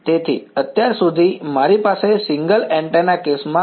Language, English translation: Gujarati, So, so far this is what I had in the single antenna case now right